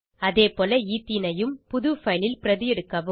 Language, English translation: Tamil, Likewise copy Ethene into a new file